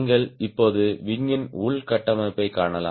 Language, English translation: Tamil, so now you can see the internal structure of the wing